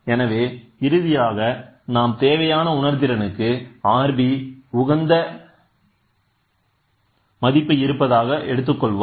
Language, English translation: Tamil, So, we can change the sensitivity which implies that that there is an optimum value of R b for the required sensitivity